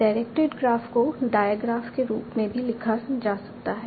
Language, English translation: Hindi, Directed graph can also be written as a digraph